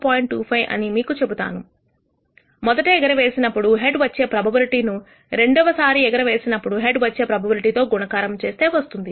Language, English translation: Telugu, 25, which is the probability of heads in the first toss multiplied by the probability of head in the second toss